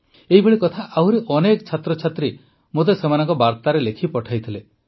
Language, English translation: Odia, A similar thought was also sent to me by many students in their messages